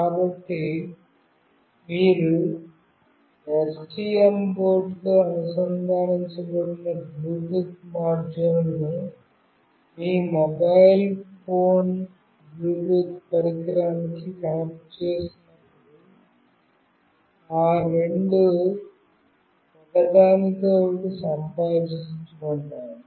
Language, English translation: Telugu, So, when you will be connecting the Bluetooth module connected with the STM board to your mobile phone Bluetooth device, these two will communicate with each other